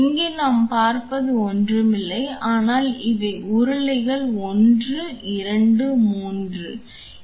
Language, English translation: Tamil, And here what we see is nothing, but these are the rollers 1, 2 and 3 rollers